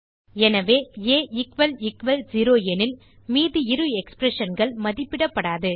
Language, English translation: Tamil, So, if a == zero, then the remaining two expressions wont be evaluated